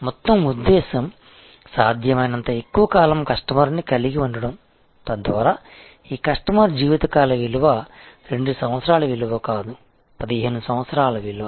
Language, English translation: Telugu, The whole purpose is to have a customer for a longer as long as possible, so that this customer lifetime value is not a 2 year value, but is a 15 year value